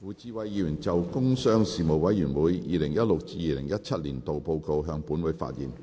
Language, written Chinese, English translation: Cantonese, 胡志偉議員就"工商事務委員會 2016-2017 年度報告"向本會發言。, Mr WU Chi - wai will address the Council on the Report of the Panel on Commerce and Industry 2016 - 2017